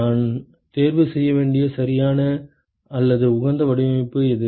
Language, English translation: Tamil, What is the correct or the optimum design that I should choose